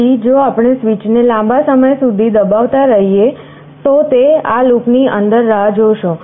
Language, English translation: Gujarati, So, if we keep the switch pressed for a long time, it will wait in this loop